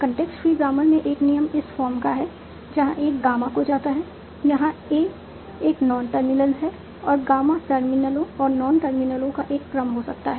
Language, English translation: Hindi, In the free grammars, a rule is of the form, A goes to gamma, where A is a non terminal and gamma can be a sequence of terminus and non terminals